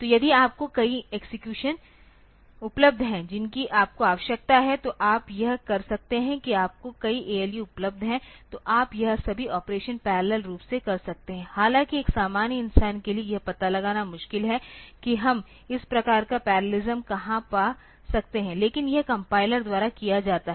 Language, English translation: Hindi, So, if you have got multiple execution you needs available then you can that is you have got multiple ALU available then you can do all this operations parallelly, though for a normal human being it is difficult to find out where can we find this type of parallelism, but this is done by the compilers